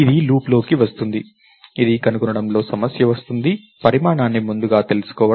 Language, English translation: Telugu, So, this gets into a loop, this gets into a problem of find, knowing the size ahead of time